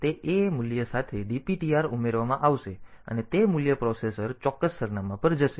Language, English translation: Gujarati, So, DPTR with that A value will be added and that value the processor will jump to that particular address